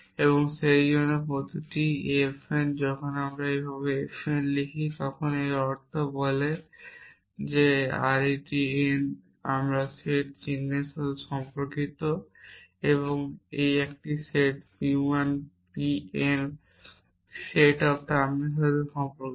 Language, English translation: Bengali, Now, we have variable system constraint system and therefore, every f n when I write f n like this it means this says arity n belonging to my set of function symbols and a set p 1 p n belonging to set off term